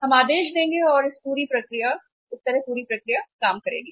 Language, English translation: Hindi, We will place the order and this way the entire process works